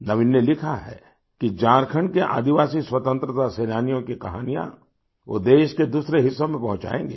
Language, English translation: Hindi, Naveen has written that he will disseminate stories of the tribal freedom fighters of Jharkhand to other parts of the country